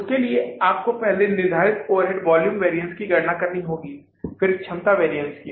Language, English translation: Hindi, For that you have to first calculate the fixed overhead volume variance then the capacity variance